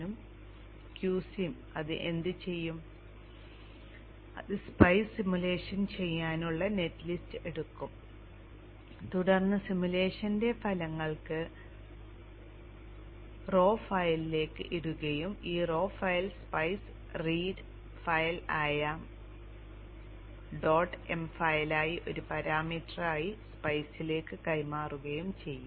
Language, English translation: Malayalam, Q Sin what it will do is it will take the netlist, do the spice simulation and then put the results of the simulation into a raw file and the raw file is passed as a parameter to the spice a spice read file